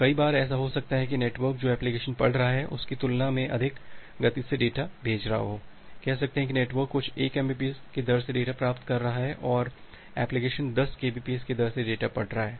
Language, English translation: Hindi, Many of the times, it may happen that will the network is sending the data at a more higher speed compared to what the application is reading, say may be the network is receiving data at a rate of some 1 Mbps and the application is reading the data at the rate 10 Kbps